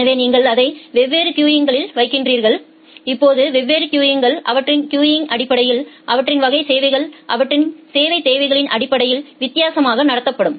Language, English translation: Tamil, So, you put it in different queues now different queues will be treated differently based on the their queuing based on their a class requirements are based on their service requirements